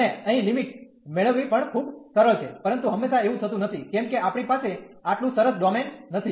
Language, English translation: Gujarati, And here the getting the limits are also much easier, but this is not always the case, because we do not have a such nice domain all the time